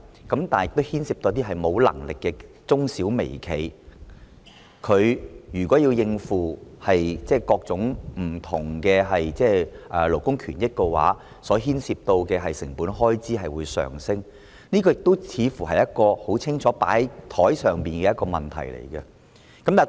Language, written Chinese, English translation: Cantonese, 但有關安排亦牽涉一些沒有能力的中小微企，如果他們要應付各種不同的勞工權益，牽涉的成本開支將會上升，這個似乎是很清楚擺在桌面上的問題。, However the arrangement also involves some micro small and medium enterprises which do not have such ability . If they have to comply with the requirements for various labour rights and interests the cost involved will rise . This seems to be an issue very clearly put on the table